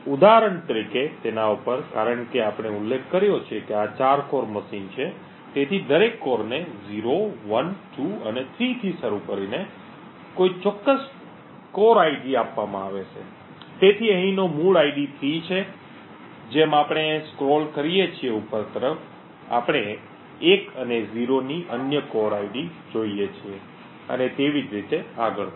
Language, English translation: Gujarati, For example over here since we have mentioned that this is 4 core machine, so each core is given a particular core ID starting from 0, 1, 2 and 3, so the core ID for example over here is 3 and as we scroll upwards we see other core IDs of 1 and 0 and so on